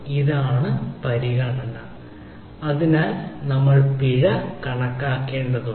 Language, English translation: Malayalam, so we need to calculate the penalty